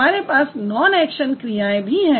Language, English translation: Hindi, We have the non action verbs